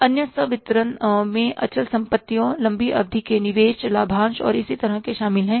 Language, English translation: Hindi, Other disbursements include outlays for fixed assets, long term investments, dividends and the like